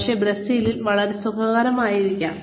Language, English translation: Malayalam, But, may be very comfortable in Brazil